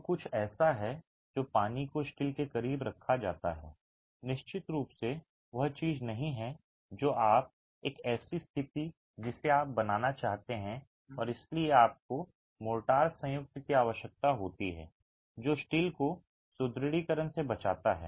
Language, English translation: Hindi, So, something that absorbs water significantly placed close to steel is definitely not something that you, a situation that you want to create and hence you need a motor joint that protects the steel from reinforcement